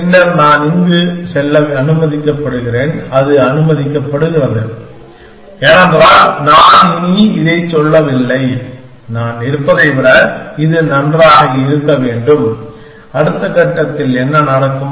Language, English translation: Tamil, Then I am allowed to move here that is allowed, because I am no longer saying that, it should be better than what I am in, what will happen in the next step